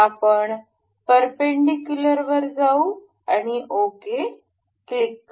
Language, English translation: Marathi, We will go to perpendicular and click ok